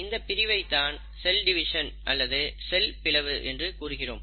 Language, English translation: Tamil, Now this division is what you call as the cell division